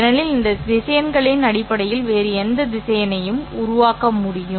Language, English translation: Tamil, These vectors allow you to represent any other vector V